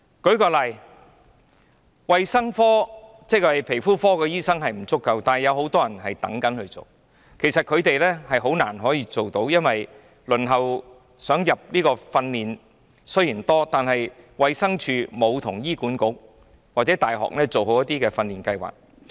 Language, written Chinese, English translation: Cantonese, 舉例說，對於皮膚科醫生不足的情況，其實很多人想做，但卻很難可以做到，因為雖然很多人輪候接受訓練，但衞生署沒有跟醫院管理局或大學配合進行訓練計劃。, For example with regard to the lack of dermatologists actually a lot of people aspire to take up these positions but it is difficult for them to do so because even though many people are waitlisted for training DH has not forged cooperation with the Hospital Authority or universities in providing training programmes